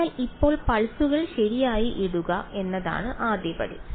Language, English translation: Malayalam, So, now, the first step is to put the pulses in right